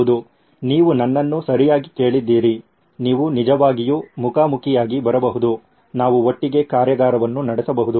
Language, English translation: Kannada, Yes, you heard me right you can actually come face to face we can have a workshop together